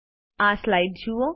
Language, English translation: Gujarati, Look at this slide